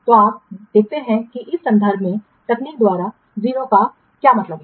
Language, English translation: Hindi, What do you mean by 0 by technique in this context